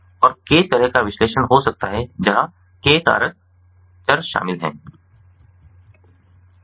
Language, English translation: Hindi, and it can be k way analysis, where k factor variables are involved